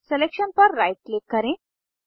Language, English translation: Hindi, Now, right click on the selection